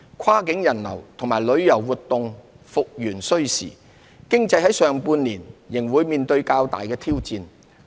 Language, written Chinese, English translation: Cantonese, 跨境人流和旅遊活動復元需時，經濟在上半年仍會面對較大挑戰。, As cross - boundary movement of people and tourism activities take time to resume normal the economy will still face significant challenges in the first half of the year